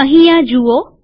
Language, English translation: Gujarati, See this here